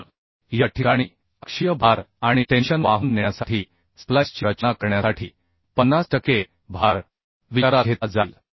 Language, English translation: Marathi, So in this case the 50 per cent load will be considered to design the splice to carry axial load and tension